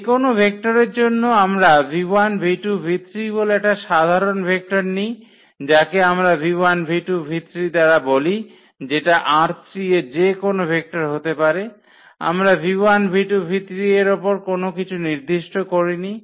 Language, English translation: Bengali, So, for any vector so we take a general vector this v 1, v 2, v 3 which we have denoted by this v 1, v 2, v 3 that can be any vector from R 3, we are not restricting anything on v 1, v 2, v 3